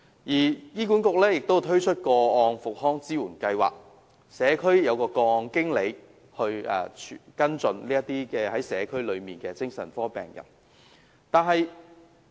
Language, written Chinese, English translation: Cantonese, 醫管局亦推出個案復康支援計劃，安排社區個案經理負責跟進社區內的精神科病人。, HA has also launched a Personalised Care Programme under which case managers will be arranged to follow up psychiatric patients in the communities